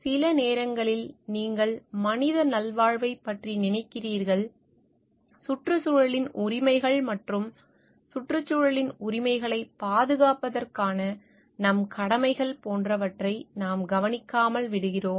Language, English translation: Tamil, Sometimes you thinking of the human wellbeing, we overlook into the like the rights of the environment and our duties to protect the rights of the environment in it s for its own sake